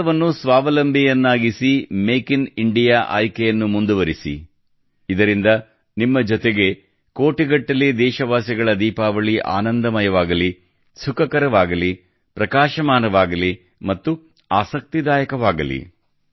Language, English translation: Kannada, Make India selfreliant, keep choosing 'Make in India', so that the Diwali of crores of countrymen along with you becomes wonderful, lively, radiant and interesting